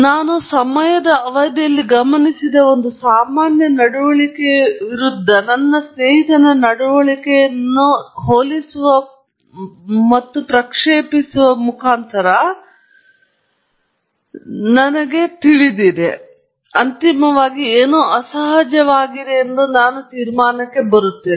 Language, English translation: Kannada, Now, what’s happening underneath is I am projecting my friend’s behavior against a normal behavior that I have observed over a period of time, and then, comparing both, and seeing well there is a huge difference, and then, finally, coming to a conclusion that something is abnormal